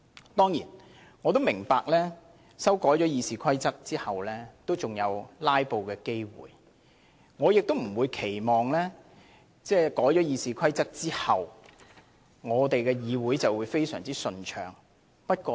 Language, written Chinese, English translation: Cantonese, 我當然明白在修改《議事規則》後仍有機會"拉布"，亦不期望這樣做能夠令議會的運作非常順暢。, I fully understand that it is still possible to filibuster after amendments are made to RoP and no one expects to see that the Council can subsequently operate very smoothly